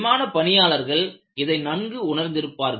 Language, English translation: Tamil, So, aviation people understood this